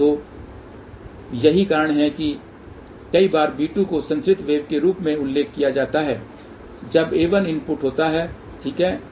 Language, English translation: Hindi, So, that is why many a times b 2 is mentioned as transmitted wave when a 1 is the input here ok